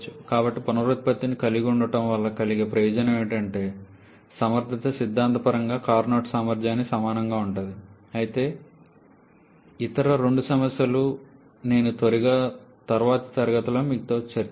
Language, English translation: Telugu, So, the advantage of having regeneration is efficiency can theoretically be equal to the Carnot efficiency but other two problems I will come back to this again in the next class